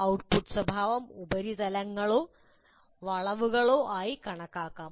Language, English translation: Malayalam, So the output behavior can be plotted as surfaces or curves and so on